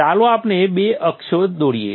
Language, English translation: Gujarati, So let us draw a couple of axes